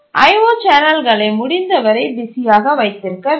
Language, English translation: Tamil, O channels need to be kept busy as possible